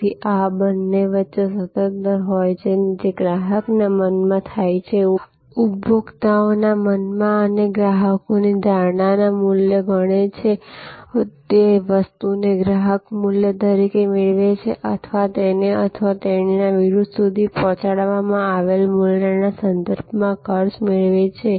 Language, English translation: Gujarati, So, there is a constant rate of between these two, which happens in customers mind, consumers mind and the customers value perception that thing that is what the customer consider as this value derived or value delivered to him or her verses the cost of acquisition of the service